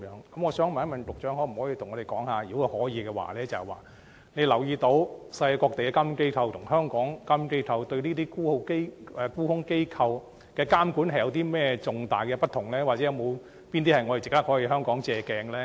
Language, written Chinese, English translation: Cantonese, 局長可否告訴我們，有否留意世界各地的監管機構對這些沽空機構的監管，與香港監管機構有甚麼重大的不同之處，以及有哪些地方值得香港借鏡？, Can the Secretary tell us whether there are any major differences between the regulation of short selling institutions by overseas regulatory bodies and that by local regulatory bodies and which areas Hong Kong can draw reference from?